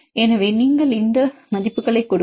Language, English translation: Tamil, So, you can use the values